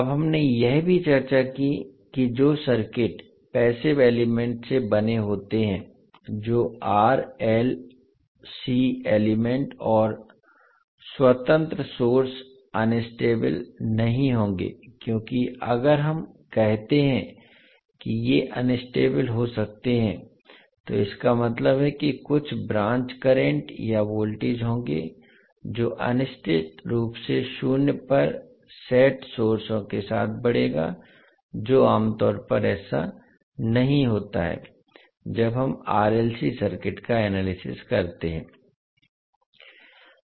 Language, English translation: Hindi, Now we also discussed that, the circuits which are made up of passive elements that is R, L, C elements and independent sources will not be unstable because if we say that these can be unstable that means that there would be some branch currents or voltages which would grow indefinitely with sources set to zero, which generally is not the case, when we analyze the R, L, C circuits